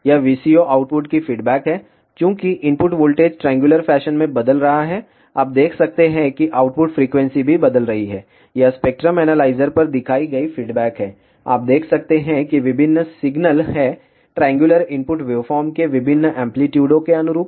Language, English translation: Hindi, This is the response of the VCO output, since the input voltage is changing in the triangular fashion, you can see that the output frequency is also changing, this is the response shown on the spectrum analyzer, you can see that various signals are there which correspond to different amplitudes of the triangular input waveform